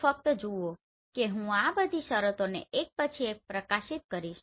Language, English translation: Gujarati, So just see I am going to highlight all this terms one by one